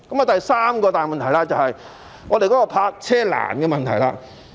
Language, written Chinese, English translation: Cantonese, 第三個大問題是泊車難的問題。, The third major problem is the difficulties with parking